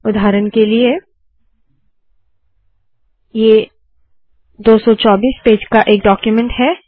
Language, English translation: Hindi, For example, its a 224 page document